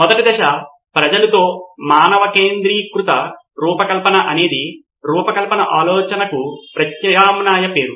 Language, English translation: Telugu, Human centered design is an alternate name for design thinking